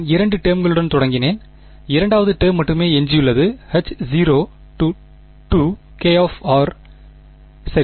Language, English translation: Tamil, I had started with two terms and I am left with only the second term right so, H naught of the second kind k r ok